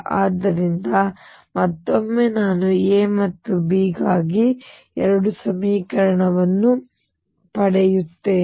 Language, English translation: Kannada, Therefore, again I get two equations for A and B